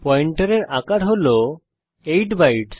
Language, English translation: Bengali, Then the size of pointer is 8 bytes